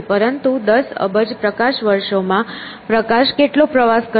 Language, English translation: Gujarati, But ten billion light years, how much would the light travel in ten billion years